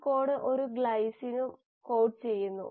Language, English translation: Malayalam, This code also codes for a glycine